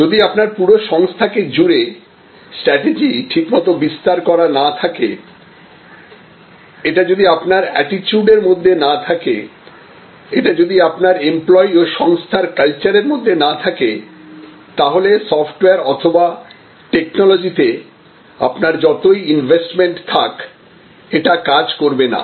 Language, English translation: Bengali, If you do not have a proper deployment of strategy that covers your entire organization, if it is not a part of your attitude, if it is not part of your employee and organization culture, then whatever maybe your investment in software or technology, it will not work